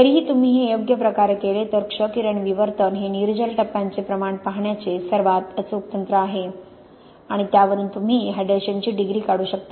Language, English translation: Marathi, Nevertheless if you do this properly, X ray diffraction is by far away the most accurate technique for looking at the amount of anhydrous phases and from that you can calculate the degree of hydration